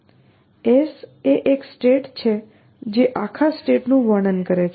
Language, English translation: Gujarati, s is a state which describes the whole state